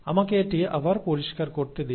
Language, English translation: Bengali, Let me make this clear again